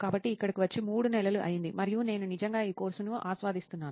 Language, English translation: Telugu, So it has been three months here and I am really enjoying this course